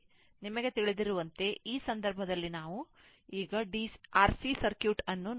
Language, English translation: Kannada, So, so many you know, in this case, now we are seeing that your RC circuit